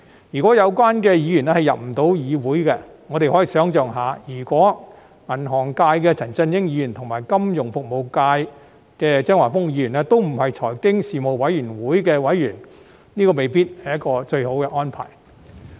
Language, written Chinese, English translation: Cantonese, 如果有關的議員不能加入委員會，我們可以想象一下，如果金融界的陳振英議員和金融服務界的張華峰議員不是財經事務委員會的委員，這未必是一個最好的安排。, If the Members concerned cannot join the Panel and imagine if Mr CHAN Chun - ying of the finance industry and Mr Christopher CHEUNG of the financial services industry are not members of the Panel on Financial Affairs that may not be the best arrangement